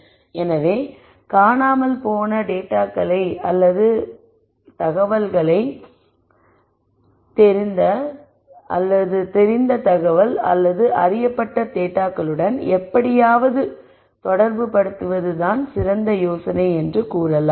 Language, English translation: Tamil, So, I might say the idea is really to somehow relate the missing information or missing data to the known information or known data